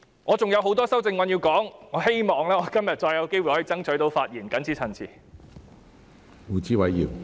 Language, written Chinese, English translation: Cantonese, 我還想就很多修正案發言，希望今天會再次爭取到發言機會。, I still want to express my views on other amendments and I hope I will have another chance to speak today